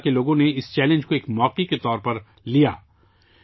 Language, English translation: Urdu, The people of Baramulla took this challenge as an opportunity